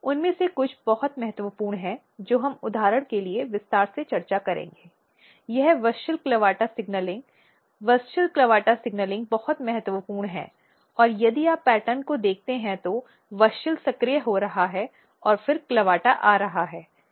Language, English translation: Hindi, Some of them are very important which we will discuss in detail for example, this WUSCHEL CLAVATA signaling; WUSCHEL CLAVATA signaling is very very important and if you look the pattern here